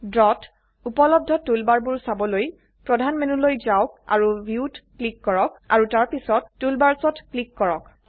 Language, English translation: Assamese, To view the toolbars available in Draw, go to the Main menu and click on View and then on Toolbars